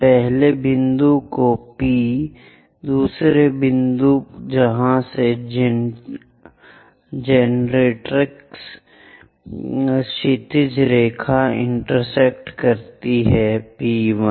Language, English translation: Hindi, First point that is our P, the second point where these generatrix horizontal line intersecting is P1